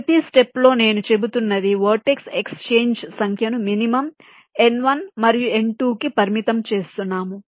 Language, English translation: Telugu, we are limiting the number of vertex exchanges to the minimum of n one and n two